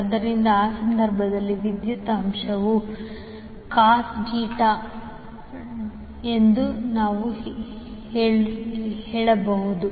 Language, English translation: Kannada, So in that case what we can say that the power factor is cos Theta